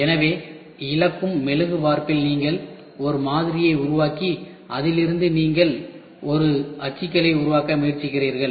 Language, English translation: Tamil, So, lost wax casting is you make a pattern and then from that you try to make a molds